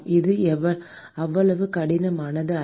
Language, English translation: Tamil, It is not that hard